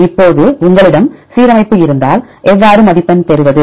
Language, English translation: Tamil, Now, if you have this alignment, how to give numbers how to get score